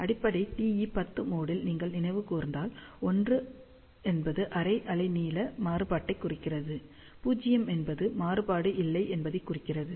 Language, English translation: Tamil, And for fundamental TE 10 mode, if you recall, 1 implies half wave length variation, 0 implies, no variation